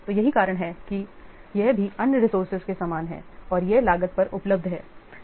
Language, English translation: Hindi, So that's why it is also similar to other resources and it is available at a cost